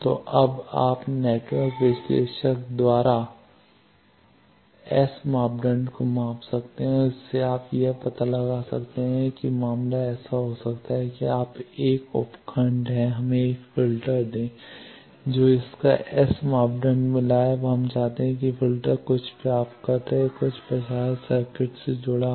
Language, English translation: Hindi, So, now, you can measure S parameter by network analyser and from that you can find out as the case may be suppose you are 1 sub block let us 1 filter you have found its S parameter now you want to that filter will be connected to some receiver or some transmitter circuit